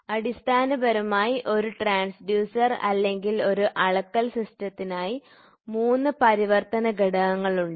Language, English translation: Malayalam, So, basically there are three functional elements for a transducer or for a measuring system